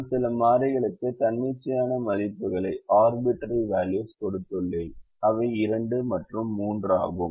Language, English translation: Tamil, so now i have given some arbitrary values, three and five